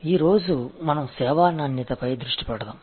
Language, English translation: Telugu, Today let us focus on service quality